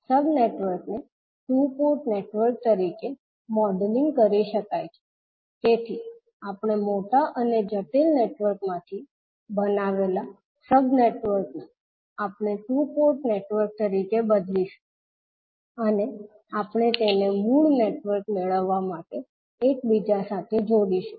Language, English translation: Gujarati, The sub networks can be modelled as two port networks, so the sub networks which we create out of the large and complex network, we will convert them as a two port network and we will interconnect them to perform the original network